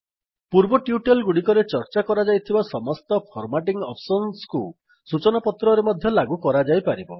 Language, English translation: Odia, Hence,we see that all the formatting options discussed in the previous tutorials can be applied in newsletters, too